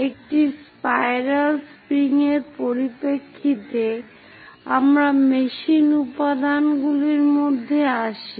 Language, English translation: Bengali, So, in terms of a spiral springs, we come across in machine elements